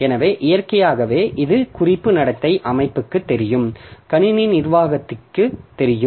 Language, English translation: Tamil, So, naturally there are, it's reference behavior is known to the system, known to the system administrator